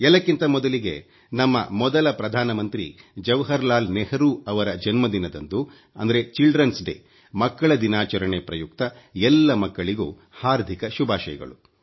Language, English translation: Kannada, First of all, many felicitations to all the children on the occasion of Children's Day celebrated on the birthday of our first Prime Minister Jawaharlal Nehru ji